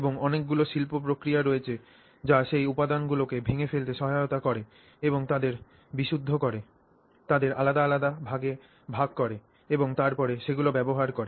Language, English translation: Bengali, And there are many industrial processes which help them break down those materials and purify those materials, separate them into different, you know, fractions and then use them